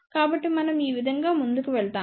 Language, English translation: Telugu, So, this is how we proceed